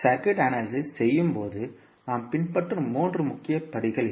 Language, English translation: Tamil, So, these are the three major steps we will follow when we will do the circuit analysis